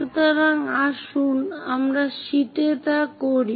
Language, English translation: Bengali, So, let us do that on sheet